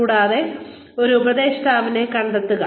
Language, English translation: Malayalam, And, find a mentor